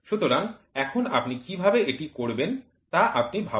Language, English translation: Bengali, So, now, you think how will you do it